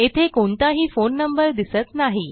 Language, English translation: Marathi, Note that we dont see any phone numbers